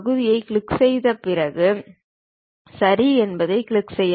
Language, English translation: Tamil, Click Part, then click Ok